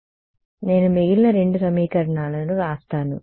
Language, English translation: Telugu, So, let me write down the other two equations